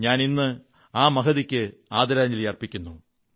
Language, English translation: Malayalam, Today, I pay homage to her too